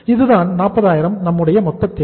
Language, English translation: Tamil, This is our total requirement 40000